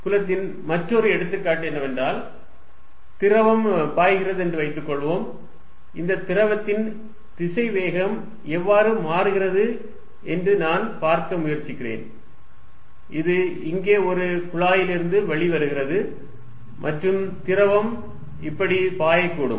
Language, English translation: Tamil, Another example of field is going to be, suppose there is fluid flowing and I try to see, how the velocity of this fluid is changing, this may be coming out of what a tap here and fluid may flow like this